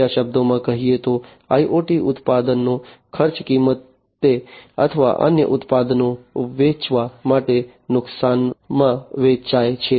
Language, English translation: Gujarati, In other words, IoT products are sold at the cost price or at a loss to sell other products